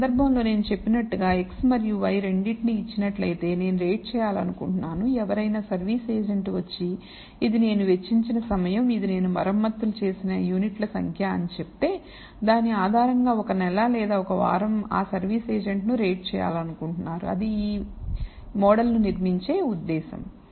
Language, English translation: Telugu, In this case as I said, given both x and y I would like to rate if some service agent comes and tells this is the time, I have spent and this is a number of units I have I have repaired and based on it is performance for a month or a week you would like to rate the service agent that is the purpose for building this model